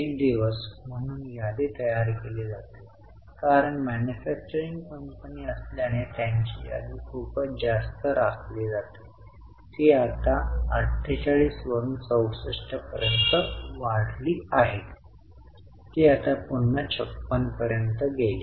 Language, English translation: Marathi, Inventry as a days because being a manufacturing company has to maintain lot of inventory, it has increased from 48 to 64 and again it went down to 56